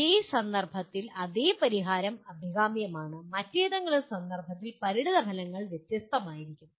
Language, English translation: Malayalam, Same solution in one context maybe desirable and the consequences in some other context it will be different